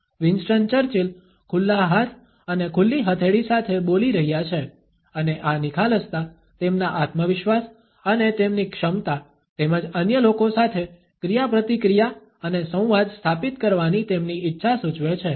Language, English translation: Gujarati, Winston Churchill is speaking with open hands and open palms and this openness suggests his confidence and his capability as well as his desire to establish interaction and dialogue with the other people